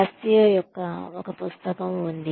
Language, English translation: Telugu, There is a book by, Cascio